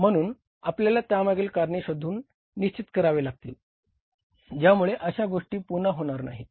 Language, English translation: Marathi, So we will have to find out the reasons for that, fix up the reasons for that so that these things do not hucker again